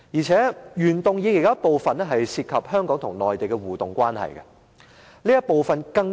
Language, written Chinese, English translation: Cantonese, 此外，原議案部分內容涉及香港與內地的互動關係。, In addition the original motion also mentions the interactive relationship between Hong Kong and the Mainland